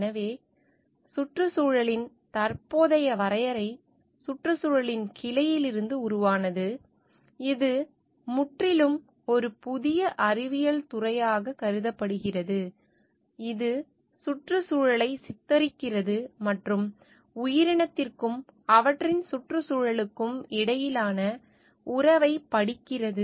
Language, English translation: Tamil, So, the present definition of environment has originated from the branch of ecology, which has considered as altogether a new scientific discipline, which is depicting the environment, the study it is the field, which studies the relationship between the organism and their environment